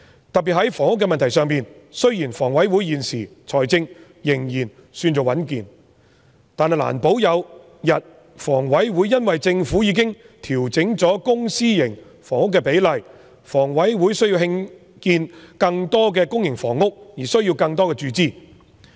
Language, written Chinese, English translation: Cantonese, 特別在房屋的問題上，雖然香港房屋委員會現時財政仍然尚算穩健，但難保一天因為政府已經調整公私營房屋比例，房委會因需要興建更多公營房屋而需要更多注資。, Regarding housing problems in particular although the Hong Kong Housing Authority is financially sound at present it may need more funding in future to build more public housing since the Government has adjusted the publicprivate housing split